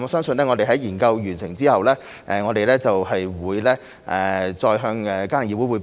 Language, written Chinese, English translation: Cantonese, 在研究完成後，我們會再向家庭議會匯報。, Upon the conclusion of the study we will further report to the Family Council